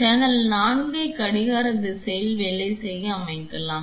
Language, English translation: Tamil, Let us set channel 4 to work in clockwise direction